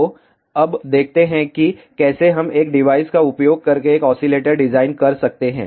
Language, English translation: Hindi, So, now, let us see how we can design an oscillator using a device